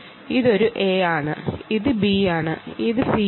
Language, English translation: Malayalam, this is a and this is b and this is c, this is a